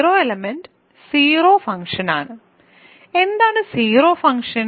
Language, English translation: Malayalam, Zero element is simply the 0 function, what is a zero function